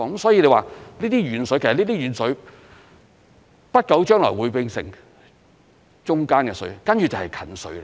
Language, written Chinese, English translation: Cantonese, 所以說，這些"遠水"不久將來會變成"中間的水"，接着便會變成"近水"。, In other words the distant water will soon become midway water and then nearby water which is precisely what we need